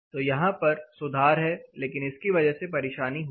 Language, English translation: Hindi, So, there is improvement here, but this is leading to problem